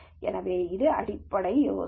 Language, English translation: Tamil, So, this is the basic idea